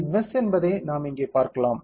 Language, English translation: Tamil, We can see here this is the mesh